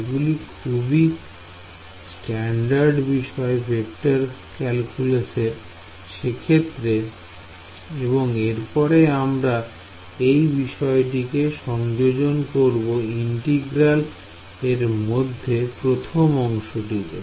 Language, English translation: Bengali, Ok these are standard identities in vector calculus ok, next what do we do we will substitute this identity inside the first term of the integral